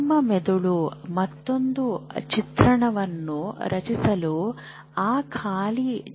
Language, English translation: Kannada, But your brain has used that empty space also to create another imagery